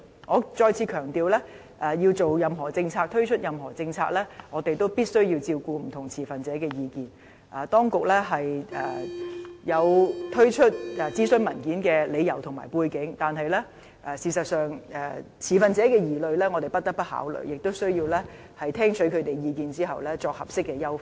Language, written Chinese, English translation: Cantonese, 我再次強調，在制訂及推出任何政策時，我們也必須照顧不同持份者的意見，當局有推出諮詢文件的理由和背景，但事實上，持份者的疑慮我們亦不得不考慮，亦需要在聽取他們的意見後再作合適優化。, Let me reiterate once again We have to take into consideration the views of different stakeholders in formulating and implementing any policy . It is true that the authorities launched the consultation paper as driven by different reasons and factors but it is equally important to pay heed to stakeholders concerns . It is also necessary to carry out appropriate enhancements after listening to their views